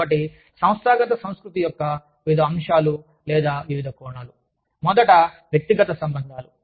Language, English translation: Telugu, So, various elements or various facets, of organizational culture are, first is personal relationships